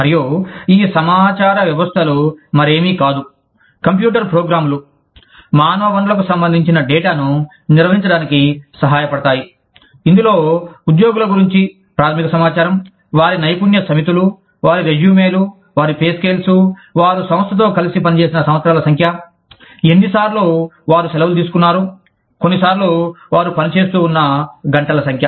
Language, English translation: Telugu, And, these information systems are nothing but, computer programs, that help manage human resources related data, that includes the basic information about employees, their skill sets, their resumes, their pay scales, the number of years, they work with the organization, the number of times, they have taken leaves, sometimes, the number of hours, they have been working